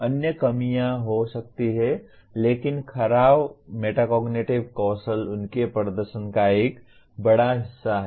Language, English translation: Hindi, There could be other deficiencies but poor metacognitive skill forms an important big part of his performance